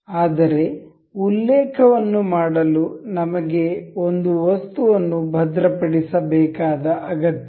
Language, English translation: Kannada, But to make a reference we need one of the items to be fixed